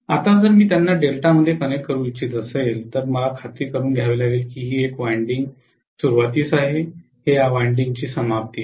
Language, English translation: Marathi, Now, if I want to connect them in delta, I have to make sure if I say that this is the beginning of one winding, this is the end of that winding